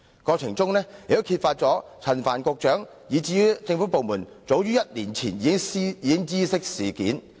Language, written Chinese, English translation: Cantonese, 過程中同時揭發陳帆局長及政府部門早於1年前已知悉事件。, It has also been revealed that Secretary Frank CHAN and the relevant government departments were aware of the incident as early as one year ago